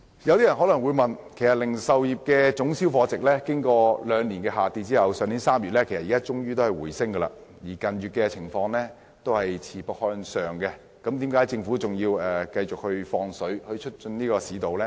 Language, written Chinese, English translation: Cantonese, 有些人提出疑問，零售業的總銷貨值經過兩年下滑後，去年3月終於回升，近月更是持續向上，那麼政府為何仍繼續"放水"以促進市道呢？, Some question the wisdom of continued expansionary efforts by the Government to stimulate the economy at a time when the value of total retail sales after two years of decline have finally rebounded in March and continued to pick up in recent months